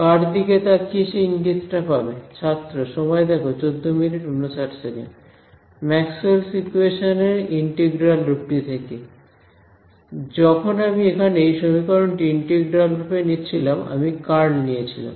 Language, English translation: Bengali, Integral form of Maxwell’s equations right, over here when I did this equation over here in integral form I got I was taking curl